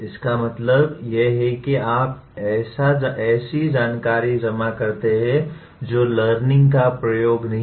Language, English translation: Hindi, That means merely if you accumulate information that is not synonymous with learning at all